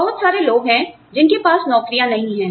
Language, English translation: Hindi, There are, so many people, who do not have jobs